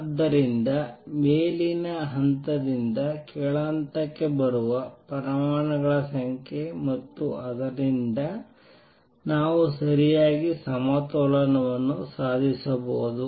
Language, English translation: Kannada, So, does the number of atoms that come down from the upper level to lower level and therefore, we may achieve properly equilibrium